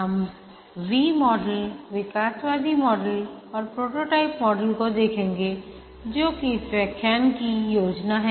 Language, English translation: Hindi, We'll look at the V model, evolutionary model and prototyping model